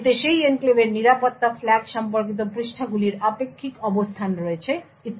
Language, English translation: Bengali, It has relative positions of the pages in that enclave security flag associated and so on